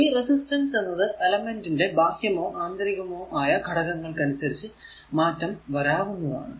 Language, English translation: Malayalam, The resistance can change if the external or internal conditions of the elements are your altered